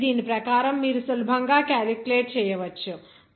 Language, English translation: Telugu, So according to this, you can easily calculate